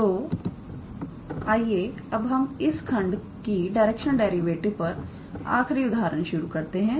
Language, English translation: Hindi, So, let us start with our very last example on the directional derivative chapter